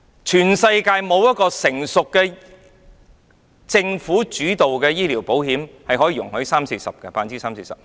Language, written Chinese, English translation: Cantonese, 全世界沒有一個成熟的、由政府主導的醫療保險計劃容許三四成錢作這種用途。, No mature and government - led health insurance scheme in the world would allow 30 % to 40 % of premiums to be spent in this way